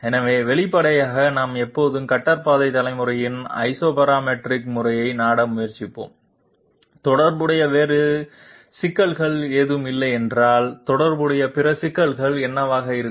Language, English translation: Tamil, So obviously we would always try to resort to Isoparametric method of cutter path generation if there are no other problems associated, what can be the other problems associated